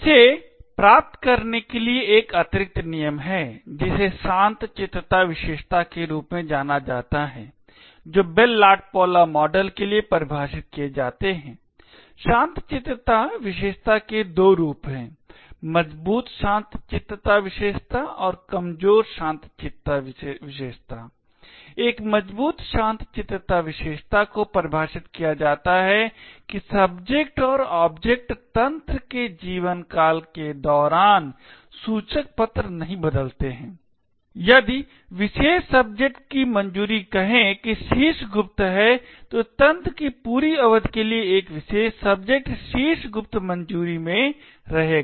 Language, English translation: Hindi, In order to achieve this there is an additional rule known as the Tranquillity properties which are defined for the Bell LaPadula model, there are two forms of the tranquillity property, Strong Tranquillity property and Weak Tranquillity property, a Strong Tranquillity property is defined that subjects and objects do not change labels during the lifetime of the system, if the particular subject is having a clearance of say top secret, then a particular subject would remain in the a top secret clearance for the entire duration of the system